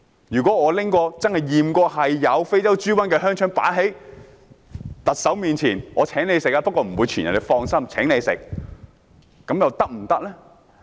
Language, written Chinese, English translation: Cantonese, 如果我真的把被驗出有非洲豬瘟的香腸放在特首面前，我請她食用，說不會傳染，請放心，是否可以呢？, If I take out a sausage in which African swine fever virus is found to the Chief Executive and ask her to eat it saying that the virus will not pass to her and she should feel at ease is it all right?